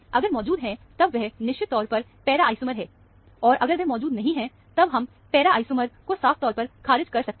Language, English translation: Hindi, If it is present, then, it is definitely the para isomer; if it is absent, then, we can rule out the para isomer very clearly